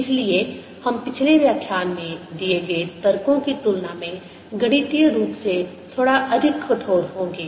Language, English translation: Hindi, so we are going to be mathematical, little more rigorous than the arguments that we gave in the previous lecture